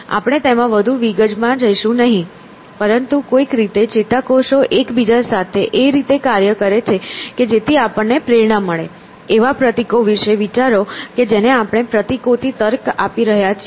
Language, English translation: Gujarati, So, we will not go into more detail than that, but somehow neurons act in concert with each other in a manner which we are inspecting ourselves, think of a symbols that we are reasoning with symbols